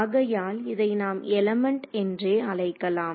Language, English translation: Tamil, So, we will call this an element